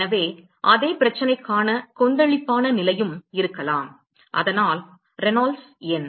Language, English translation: Tamil, So, one could also have turbulent condition for the same problem and so, the Reynolds number